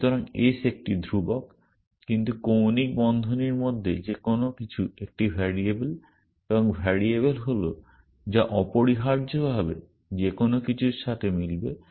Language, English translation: Bengali, So, ace is a constant, but anything within angular bracket is a variable and the variable is which will match anything essentially